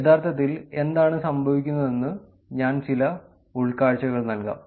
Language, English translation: Malayalam, I will actually give some insights about what is going on